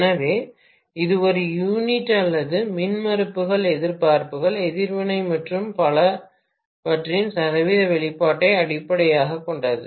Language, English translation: Tamil, So, this is based on per unit or percentage expression of the impedances, resistances, reactance’s and so on and so forth